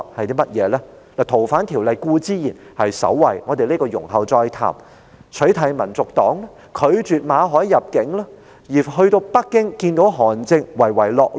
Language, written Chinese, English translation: Cantonese, 修訂《條例》固然位列首位——這方面，我們容後再談——還有取締香港民族黨、拒絕馬凱入境，以及訪問北京與韓正會面時的唯唯諾諾。, The amendment of FOO most certainly tops the list and we will talk about it later . Also thrown in for good measure are the banning of the Hong Kong National Party the refusal of Victor MALLETs entry and the obsequiousness he showed while meeting with HAN Zheng during a visit to Beijing